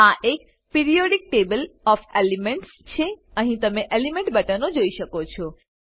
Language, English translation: Gujarati, This is a Periodic table of elements, here you can see element buttons